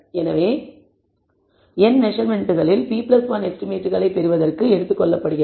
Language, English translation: Tamil, Therefore out of the n measurements p plus 1 are taken away for the deriving the estimates